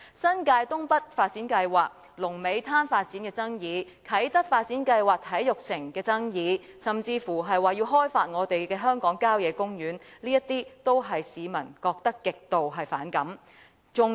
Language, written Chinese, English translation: Cantonese, 新界東北發展計劃，龍尾灘發展的爭議，啟德發展計劃中體育城的爭議，甚至說要開發香港郊野公園，這些都是市民極度反感的事。, The disputes over the North East New Territories NENT Development Plan the Lung Mei Beach Development and the Sports Park under the Kai Tak Development it was even said that the country parks in Hong Kong were to be exploited they are things that the public find it most resentful